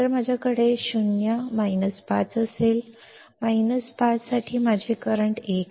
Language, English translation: Marathi, So, I will have 0, minus 5; for minus 5 my current is let us say 1